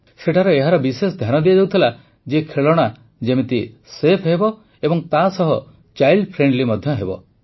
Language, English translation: Odia, Here, special attention is paid to ensure that the toys are safe as well as child friendly